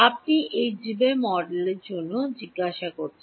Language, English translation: Bengali, You are asking for this Debye model